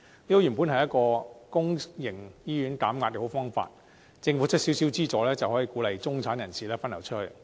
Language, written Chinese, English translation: Cantonese, 這本來是一個為公營醫院減壓的好方法，政府提供少少資助，便能鼓勵中產人士分流出去。, It was originally a good way to ease the pressure on public hospitals for only a small amount of subsidy from the Government is required to induce the diversion of the middle class from public hospitals